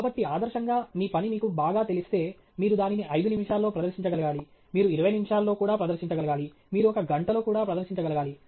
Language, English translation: Telugu, So, ideally, if you know your work very well, you should be able to present it in 5 minutes, you should be able to present it in 20 minutes, you should be able to present it in one hour